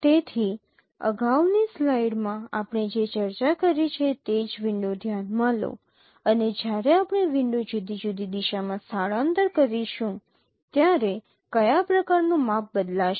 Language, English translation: Gujarati, So, consider a window in the same example what you have discussed in the previous slide that how actually the kind of measure which will be changing when we shift the window in different directions